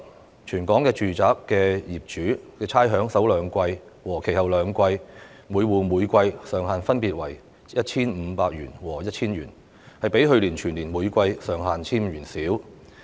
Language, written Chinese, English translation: Cantonese, 在全港住宅的首兩季及其後兩季差餉方面，每戶每季上限分別為 1,500 元和 1,000 元，較去年全年每季上限 1,500 元少。, The rates concession provided for domestic properties across the territories is subject to a ceiling of 1,500 per quarter in the first two quarters and a ceiling of 1,000 per quarter in the remaining two quarters for each rateable property as opposed to the ceiling of 1,500 per quarter throughout last year